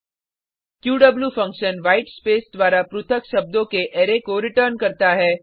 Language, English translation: Hindi, qw function returns an Array of words, separated by a white space